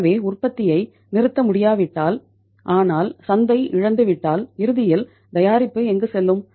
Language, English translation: Tamil, So if the production cannot be stopped but the market is lost so ultimately where the product will go